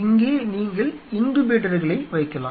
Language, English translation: Tamil, Where you will be placing the incubators possibly